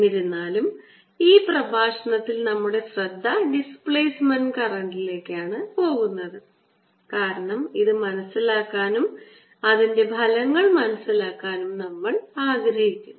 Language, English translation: Malayalam, in this lecture, however, our focus is going to be the displacement current, because we want to understand this and understand displacement current and its effects